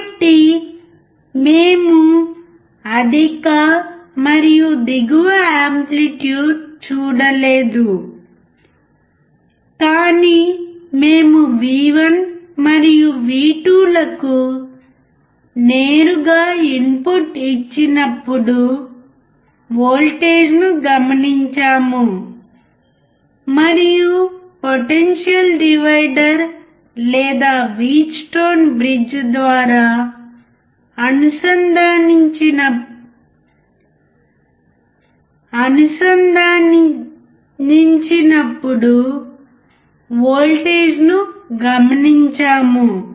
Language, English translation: Telugu, So, we have not seen higher and lower amplitude, but we have actually seen the voltage when we applied directly to the input V1 and V2, and we have seen that when it is connected through the potential divider or Wheatstone bridge, what is the Vout